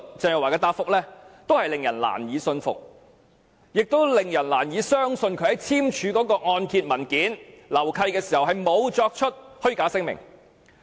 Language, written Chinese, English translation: Cantonese, 鄭若驊的答覆令人難以信服，亦令人難以相信她在簽署按揭文件和樓契時沒有作出虛假聲明。, Teresa CHENGs reply is unconvincing and it is hard to believe that she did not make false declarations when signing the mortgage and assignment documents